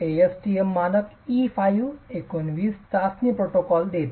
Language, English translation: Marathi, The ASTM standard E519 gives the protocol for testing